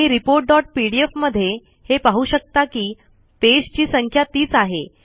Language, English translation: Marathi, And you can see in the report dot pdf, you can see that the page number is still the same